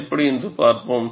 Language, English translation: Tamil, We will see how